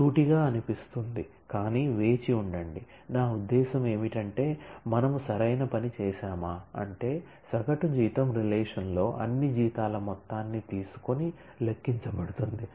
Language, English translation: Telugu, sounds straightforward, but just wait, just wait, I mean did we do it do a right thing an average salary is computed by taking the sum of all salaries in the relation